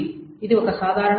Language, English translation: Telugu, This is typical times